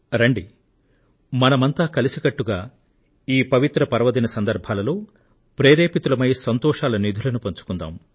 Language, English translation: Telugu, Let us come together and take inspiration from these holy festivals and share their joyous treasures, and take the nation forward